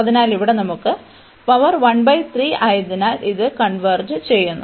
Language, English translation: Malayalam, So, here we have this power 1 by 3, so this converges